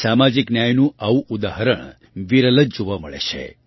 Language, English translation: Gujarati, Such an example of social justice is rarely seen